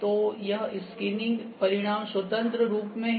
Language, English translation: Hindi, So, this scanning results are representing using free form